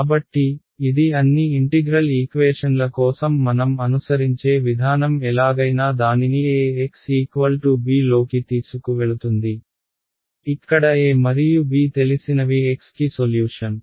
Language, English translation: Telugu, So, this is going to be the objective of I mean the approach that we will follow for all integral equations somehow get it into Ax is equal to b where A and b are known solve for x